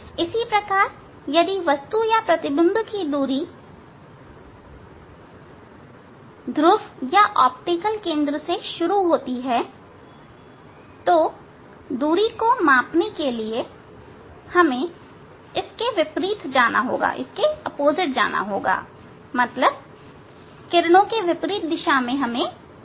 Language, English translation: Hindi, Similarly, if the distance distances object or image starting from the pole or optical center, if for measuring the distance if we must go against; the against the incident direction of the incident rays